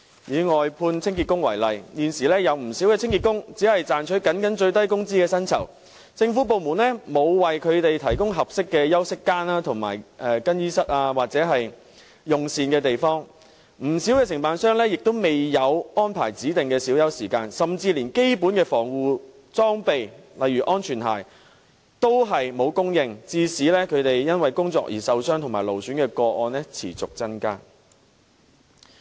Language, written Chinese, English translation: Cantonese, 以外判清潔工為例，現時有不少清潔工僅賺取最低工資的薪酬，政府部門沒有為他們提供合適的休息間、更衣室或用膳的地方，不少承辦商亦沒有安排指定的小休時間，甚至連基本的防護裝備亦沒有提供，導致他們因為工作而受傷和勞損的個案持續增加。, The government departments did not provide them with appropriate rest areas changing rooms or dining places . Many contractors did not arrange for any specified break time for them either . They did not even provide such basic protective gear as safety shoes thus leading to a continual increase in the number of cases of work injuries and strain disorders